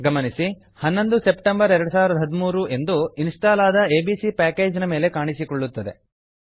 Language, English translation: Kannada, Notice that 11 september 2013 appears in the Installed on column for package abc